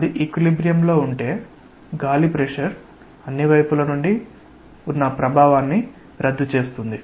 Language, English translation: Telugu, If it is in equilibrium; that means, air pressure is cancelling the effect from all the sides together